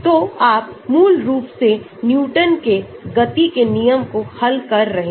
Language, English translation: Hindi, So basically you are solving that Newton's law of motion